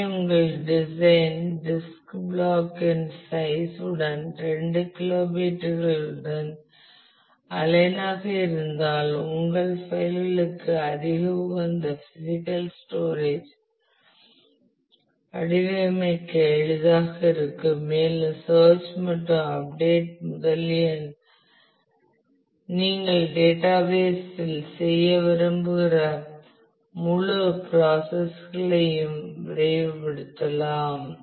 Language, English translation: Tamil, So, you are if your design is aligned with a size of the disk block which is couple of kilobytes then it will be easier to be able to design more optimal physical storage for your files and you can speed up the whole process of search and update that you want to do in the database